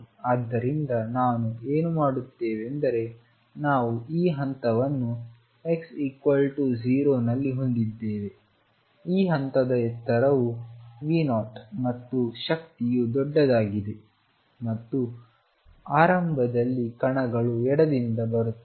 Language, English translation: Kannada, So, what we are doing is we have this step at x equals 0 the height of this step is V 0 and the energy is large and initially the particles are coming from the left